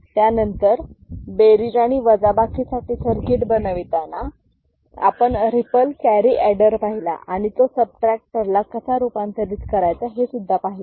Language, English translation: Marathi, And, then to design circuit, for addition and subtraction we saw ripple carry addition and how we can convert a ripple carry adder to a subtractor, ok